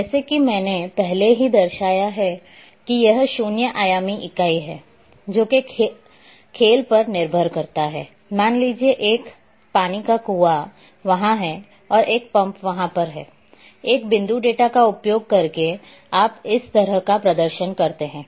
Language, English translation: Hindi, As I have already mentioned that it’s a zero dimensional entity and examples sometimes depending on the scale suppose, a water well location is there and pump is there, on a map you display like this using point data